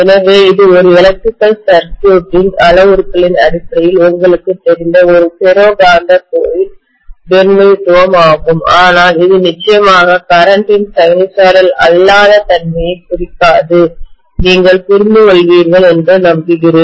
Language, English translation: Tamil, So this is the representation of a ferromagnetic core you know in terms of electrical circuit parameters but this definitely does not represent the non sinusoidal nature of the current, I hope you understand